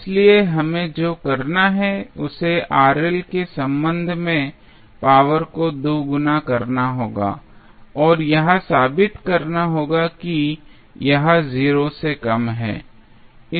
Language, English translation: Hindi, So, what we have to do we have to double differentiate the power with respect to Rl and will prove that it is less than 0